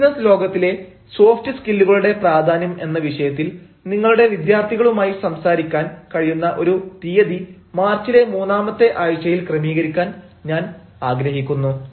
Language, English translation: Malayalam, i look forward to arranging a date in the third week of march when i can talk to your students on the topic of the importance of soft skills in a business world